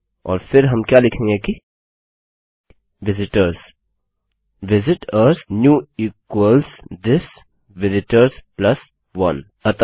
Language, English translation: Hindi, And then what well say is visitors Visit ors new equals this vistors plus 1